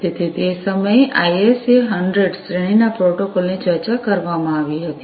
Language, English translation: Gujarati, So, at that time the ISA 100 series of protocols was discussed